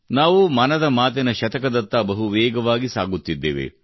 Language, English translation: Kannada, We are fast moving towards the century of 'Mann Ki Baat'